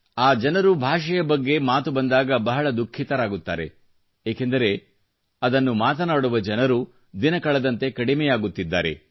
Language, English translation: Kannada, They are quite saddened by the fact that the number of people who speak this language is rapidly dwindling